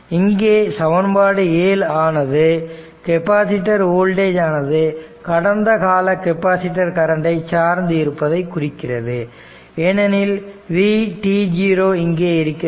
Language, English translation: Tamil, Therefore, this equation 7 that means, this equation 7 shows that capacitor voltage depend on the past history of the capacitor current right and because of that that v t 0 is here